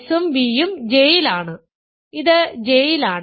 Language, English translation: Malayalam, s and v are in J so, this is in J